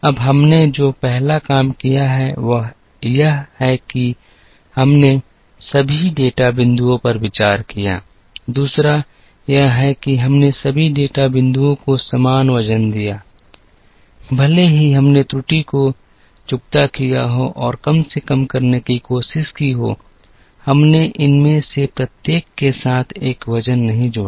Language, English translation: Hindi, Now first thing we have done is we have considered all the data points, second is we have given equal weight age to all the data points, even though we squared the error and tried to minimize, we did not associate a weight with each of these